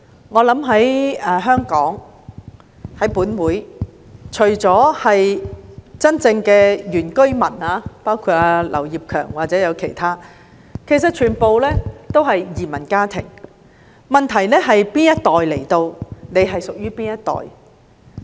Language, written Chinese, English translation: Cantonese, 代理主席，我想，在香港，除了真正的原居民，包括本會的劉業強議員或其他人，其實全部也是移民家庭，分別只在於屬於哪一代的來港移民。, Deputy President I think that apart from the real indigenous inhabitants including Mr Kenneth LAU or others in this Council everyone in Hong Kong actually belong to immigrant families with the only difference being which generation of immigrants to Hong Kong they fall into